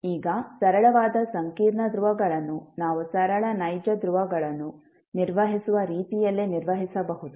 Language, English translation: Kannada, Now, simple complex poles maybe handled the same way, we handle the simple real poles